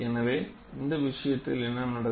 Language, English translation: Tamil, So, in this case what happens